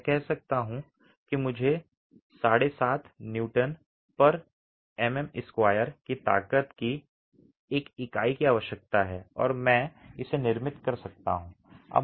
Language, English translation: Hindi, I can say I need a unit of strength 10 Newton per millimeter square and I can get that manufactured